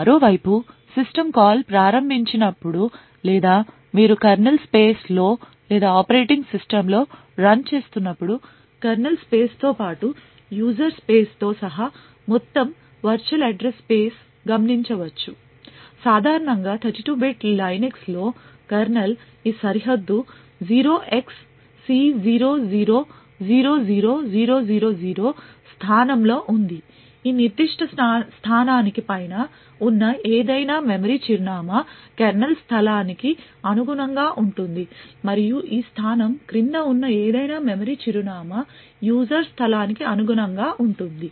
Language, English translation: Telugu, On the other hand when a system call is invoked or you are running in the kernel space or in the operating system the entire virtual address space including that of the kernel space plus that of the user space is observable, typically in a 32 bit Linux kernel this boundary is present at a location 0xC0000000, any memory address above this particular location corresponds to a kernel space and any memory address below this location corresponds to that of a user space